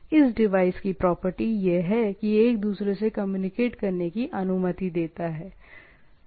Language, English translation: Hindi, The property of this device is allows it to communicate to one other